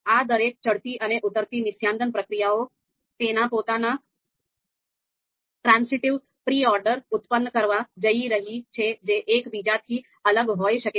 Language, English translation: Gujarati, So each of these procedures, ascending and descending distillation procedures, they are going to produce their own transitive pre orders which might be different from each other